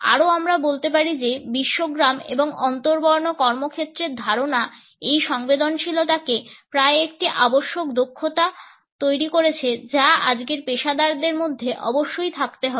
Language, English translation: Bengali, Further we can say that the idea of the global village and the interracial workplaces has made this sensitivity almost a must skill which professionals today must possess